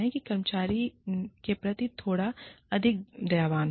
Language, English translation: Hindi, Be a little more compassionate, towards your employees